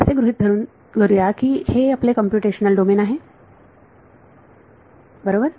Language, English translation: Marathi, So, supposing this is your computational domain right